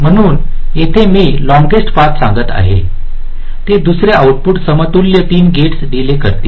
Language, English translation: Marathi, so here when i say the longest path, it will be the delay of the second output, equivalent three gates delays